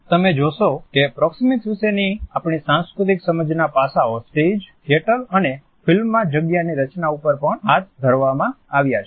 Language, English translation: Gujarati, You would find that these aspects of our cultural understanding of proxemics are also carried over to the way space is designed in stage, in theatre and in film